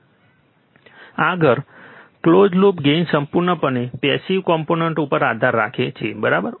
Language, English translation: Gujarati, Next, close loop gain depends entirely on passive components, right